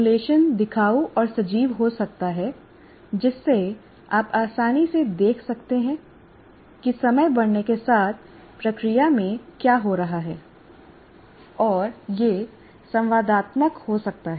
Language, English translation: Hindi, Simulation can be visual and animated allowing you to easily see what's happening in the process as time progresses